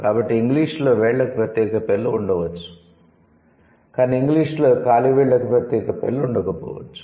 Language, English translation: Telugu, So, English might have, might have names for the fingers, but it may not have the names for the toes